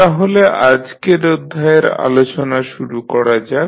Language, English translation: Bengali, So, let us start our discussion of today’s lecture